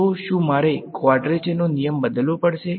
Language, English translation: Gujarati, Do I need to change the quadrature rule